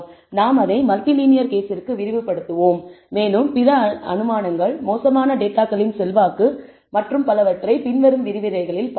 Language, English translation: Tamil, We will be extending it to the multi linear case and we will also look at other assumptions, the influence of bad data and so on in the following lecture